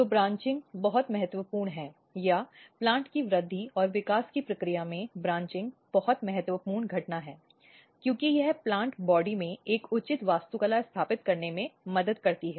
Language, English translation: Hindi, So, branching is very important or very critical events in the process of plant growth and development, because this helps in establishing a proper architecture in the plant body